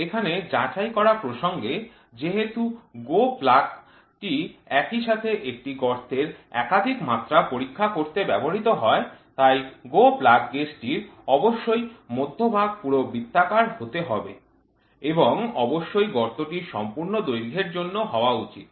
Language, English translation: Bengali, It is pertinent to check here that since the GO plug is used to check more than one dimension of a hole simultaneously, the GO plug gauge must be fully circular cross section and must be for full length of the hole